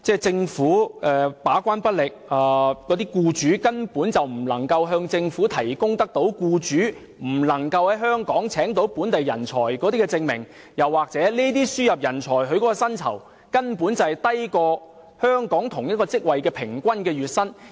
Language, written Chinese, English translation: Cantonese, 政府把關不力，而僱主根本無法向政府提供未能在香港聘請本地人才的證明，又或是輸入人才的薪酬，根本低於香港同一職位的平均月薪。, The Government has failed to perform the gatekeeping role as employers are simply unable to provide any evidence of their inability to recruit local talents and the remuneration packages offered to imported talents are lower than the average monthly remunerations of local talents holding the same posts